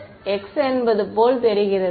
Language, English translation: Tamil, This is z still; it looks like x is it